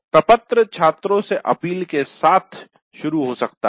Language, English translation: Hindi, So it is better to start the form with an appeal to the students